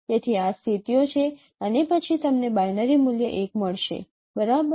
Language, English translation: Gujarati, So these are the positions and then you are getting a binary value 1